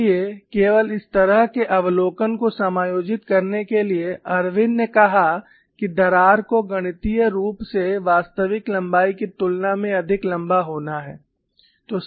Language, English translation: Hindi, So, only to accommodate this kind of an observation Irwin said, that the crack is to be mathematically modeled to be longer than the actual length